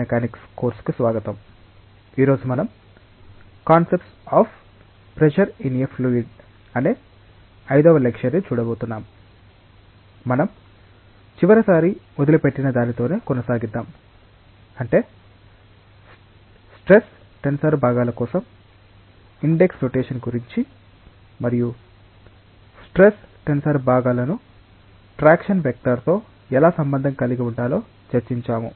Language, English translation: Telugu, Well let us continue with what we left last time, that is we were discussing about the index notations for the stress tensor components and how to relate the stress tensor components with the traction vector